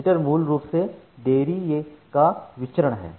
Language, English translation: Hindi, So, jitter is basically the variance of delay